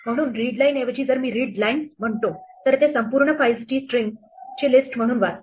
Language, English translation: Marathi, So, instead of readline, if I say readlines then it reads the entire the files as a list of srings